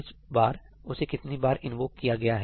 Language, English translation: Hindi, How many time is it being invoked now